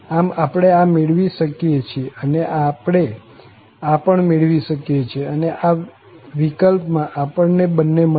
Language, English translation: Gujarati, So, we can evaluate this and we can evaluate this also, and both of them exist in this case